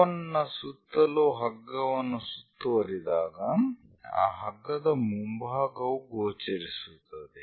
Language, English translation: Kannada, When a rope is winded around a cone, the front part front part of that rope will be visible